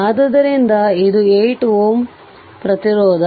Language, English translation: Kannada, So, and this is 8 ohm resistance